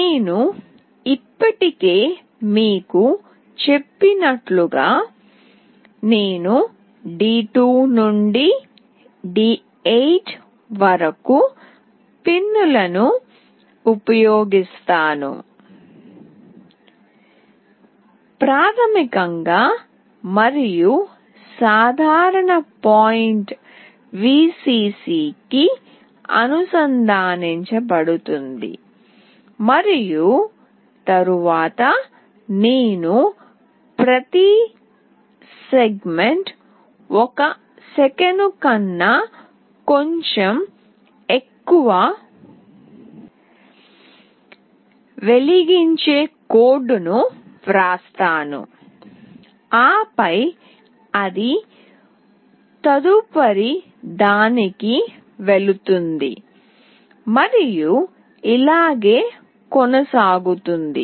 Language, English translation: Telugu, As I have already told you I will be using pins from D2 to D8, basically and the common point will be connected to Vcc and then I will be writing the code where each segment will glow for little bit more than 1 second, and then it will move to the next one, and so on